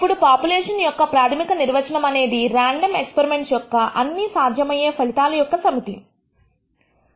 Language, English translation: Telugu, Now, with basic definition of population is the set of all possible outcomes of this random expire experiment